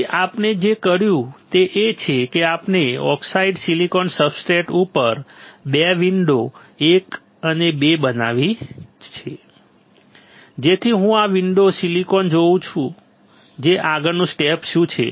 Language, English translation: Gujarati, Then what we have done is that, we have created 2 windows one and two right on the oxidise silicon substrate such that I can see silicon through this window what is the next step